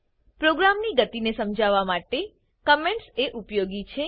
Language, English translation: Gujarati, Comments are useful to understand the flow of program